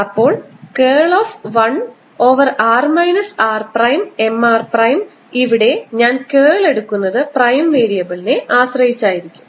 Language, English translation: Malayalam, therefore curl of one over r minus r prime, which is like f m r prime and should be taking curl with respect to the prime variable